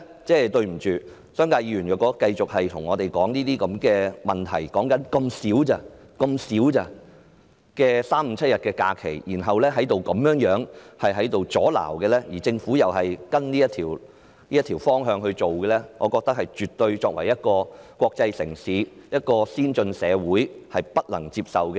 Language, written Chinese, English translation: Cantonese, 因此，對不起，如果商界議員繼續對我們指出這些問題，說這不外乎是3、5、7日的假期，然後作出阻撓，而政府又跟從他們這種方向來處理，則我認為這些做法是國際城市、先進社會絕對不能接受的。, Therefore sorry if the Members from the business sector continue to raise these issues to us with regard to nothing more than three five and seven days of leave and then stand in our way while the Government follows their lead then I think this approach is absolutely unacceptable to an international city and advanced society